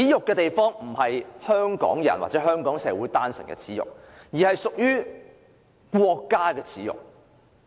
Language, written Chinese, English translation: Cantonese, 這並非單純是香港人或香港社會的耻辱，而是國家的耻辱。, This will not merely be a disgrace to Hong Kong people or the Hong Kong society but also a disgrace to the State